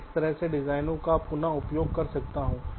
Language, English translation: Hindi, ok, i can reuse the designs in this way